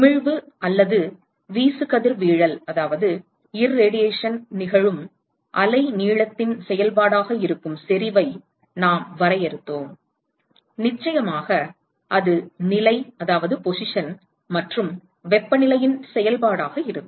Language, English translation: Tamil, And we defined intensity which is going to be a function of the wavelength at which the emission or irradiation occurs, and of course, it is going to be a function of the position and temperature